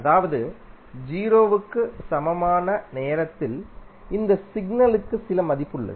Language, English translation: Tamil, It means that at time t is equal to 0, this signal has some value